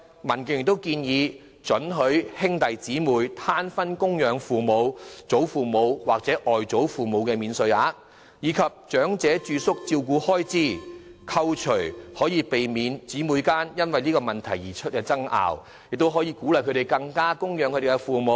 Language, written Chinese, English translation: Cantonese, 民建聯亦建議准許兄弟姊妹攤分供養父母、祖父母或外祖父母免稅額，以及扣除長者住宿照顧開支，避免兄弟姊妹間因為這個問題出現爭拗，並可鼓勵他們供養父母。, DAB would also like to suggest that arrangements be made to have the dependent parent or dependent grandparent allowance and the deduction claimed for elderly residential care expenses shared among siblings in order to avoid disputes and encourage people to take care of their elderly parents